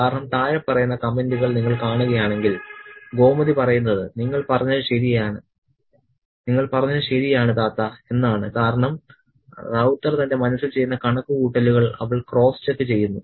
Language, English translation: Malayalam, Because if you see the following set of comments, Gomuthi says that you are correct, Tata, because she is kind of cross checking the sums that Rauta does in his mind